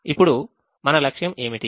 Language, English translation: Telugu, now what is the objective